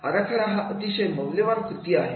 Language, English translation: Marathi, A design is a highly valued activity